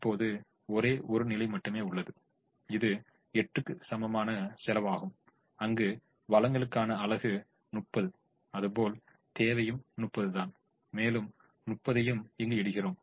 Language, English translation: Tamil, there is only one position, which is this position with cost equal to eight, where the supply is thirty, the demand is thirty, and we put all thirty here